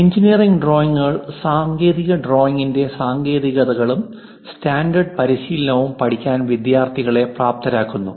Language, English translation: Malayalam, Engineering drawings enables the students to learn the techniques and standard practice of technical drawing